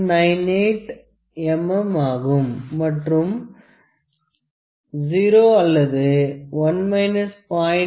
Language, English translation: Tamil, 98 is equal to 0